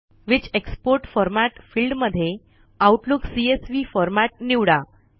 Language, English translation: Marathi, In the field Which export format., select Outlook CSV format